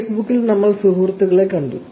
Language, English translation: Malayalam, In Facebook, we saw friends